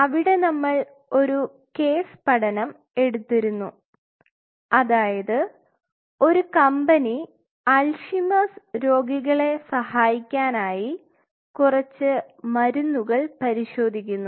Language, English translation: Malayalam, So, we took a case study that a company has to screen few drugs which are believed to help Alzheimer’s patients